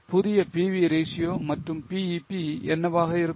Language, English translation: Tamil, What will be the new PV ratio and BEP